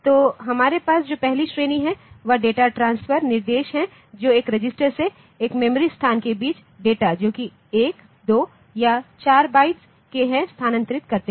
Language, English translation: Hindi, So, the first category that we have is the data transfer instructions for transferring 1, 2 or 4 bytes of data between a register and a memory location